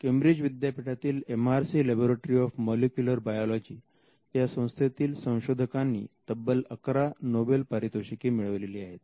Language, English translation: Marathi, The MRC Laboratory of Molecular Biology, which is in the University of Cambridge, the work of the scientist has attracted 11 Nobel prizes